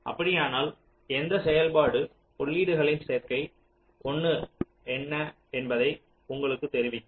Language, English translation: Tamil, if so, it will also tell you for what combination of the inputs the function is one